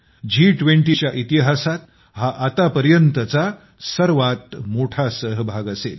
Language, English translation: Marathi, This will be the biggest participation ever in the history of the G20 Summit